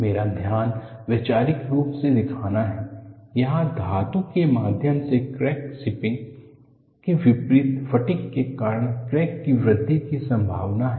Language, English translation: Hindi, See, my focus is to show conceptually, there is a possibility of growth of a crack due to fatigue in contrast to a crack zipping through the metal, when it moves very fast it is fracture